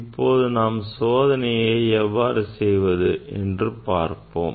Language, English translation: Tamil, let us see the theory of that experiment